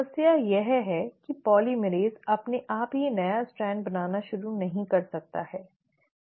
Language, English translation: Hindi, The problem is, polymerase on its own cannot start making a new strand